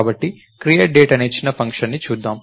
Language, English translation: Telugu, So, lets look at a small function called create date